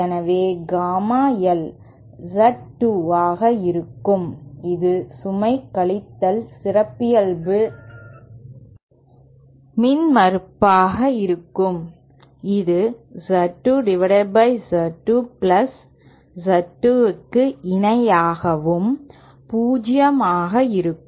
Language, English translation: Tamil, So gamma L will be Z 2 which is the load minus the characteristic impedance which is also equal to Z 2 upon Z 2 plus Z 2 and this is equal to 0